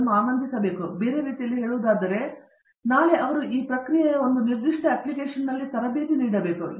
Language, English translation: Kannada, So, in other words, tomorrow if they are trained right now in one particular application of this process